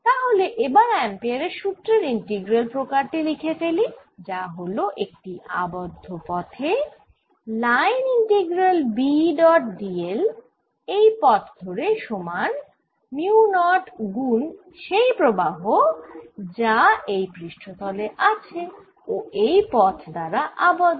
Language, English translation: Bengali, so let's write the integral form of ampere's law, that is, if i take a close path, then the line integral of b over this path is equal to mu, not times a current enclosed, passing through the area enclosed to that path